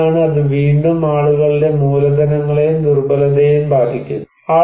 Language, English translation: Malayalam, So, what is and that again actually affects people's capitals and vulnerability